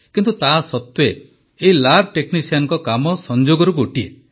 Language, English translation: Odia, But still, this lab technician's job is one of the common professions